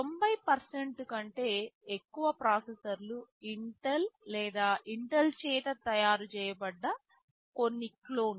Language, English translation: Telugu, More than 90% of the processors are made by Intel or some clones of those made by Intel